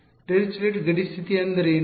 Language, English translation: Kannada, What is Dirichlet boundary condition